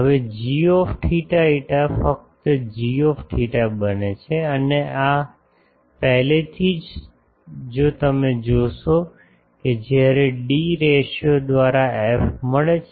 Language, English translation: Gujarati, Now, g theta phi becomes g theta only and these already if you see when we found the f by d ratio